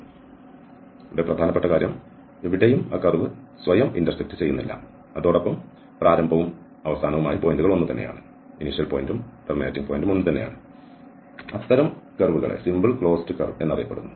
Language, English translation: Malayalam, So, the important point here is that which does not intersect itself anywhere and the initial and the end points are the same, this is known as a simple close curve